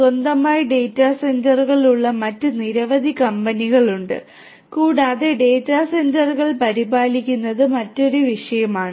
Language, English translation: Malayalam, There are many other companies which also have their own data centres and maintaining the data centres is a different topic by itself right